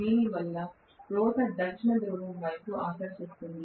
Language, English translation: Telugu, Because of which the rotor will be attracted towards the South Pole